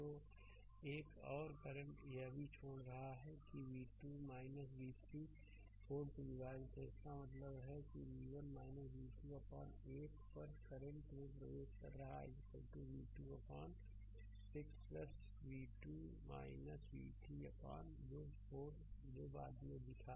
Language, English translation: Hindi, So, another current it is also leaving that is v 2 minus v 3 divided by 4 right so; that means, v 1 minus v 2 upon 8 there is current is entering is equal to v 2 upon 6 plus v 2 minus v 3 upon 4 that show later